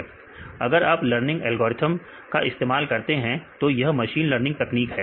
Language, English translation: Hindi, So, if you use the learning algorithm; this is your machine learning techniques